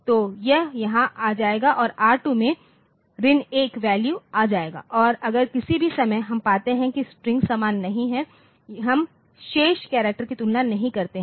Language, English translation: Hindi, So, it will come here and R2 will be getting minus 1 and if R2 is if any point of time we find that the strings are not same we do not compare the remaining characters